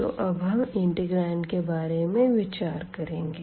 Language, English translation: Hindi, So now, this integral will be converted to this integral